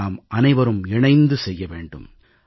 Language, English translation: Tamil, We have to do this together